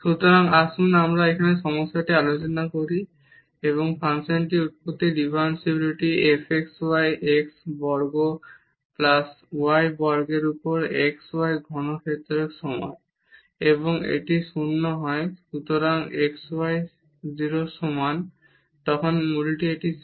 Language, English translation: Bengali, So, let us discuss the problem here the differentiability at the origin of this function f xy is equal to xy cube over x square plus y square and this is 0 when x y equal to 0 so, at origin this is 0